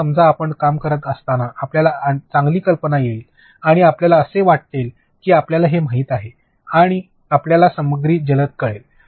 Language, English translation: Marathi, Now, suppose while working you come across a good idea and you think that you know this will make you know stuff very fast